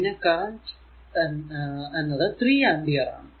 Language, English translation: Malayalam, So, it will be 3 ampere in to 3 volt